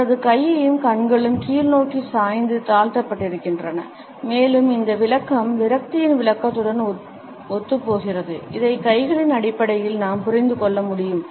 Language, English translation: Tamil, His hand is also tilted downwards and his eyes are also downcast and this interpretation is consistent with the interpretation of frustration which we can understand on the basis of the clenched hands